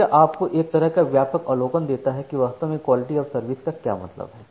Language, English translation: Hindi, So, this gives you a kind of broad overview of what quality of service actually means